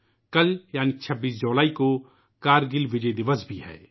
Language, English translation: Urdu, Tomorrow, that is the 26th of July is Kargil Vijay Diwas as well